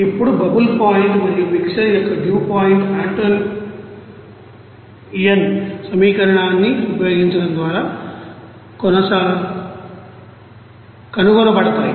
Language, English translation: Telugu, Now, the bubble point and the dew point of the mixer are found by using Antoine's equation